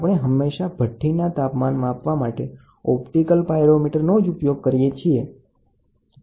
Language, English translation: Gujarati, We always used optical pyrometer for measurement and it is used to measure furnace temperatures